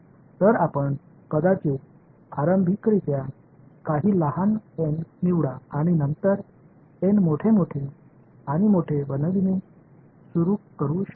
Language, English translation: Marathi, So, you might start out conservatively choose some small n and then start making n larger and larger right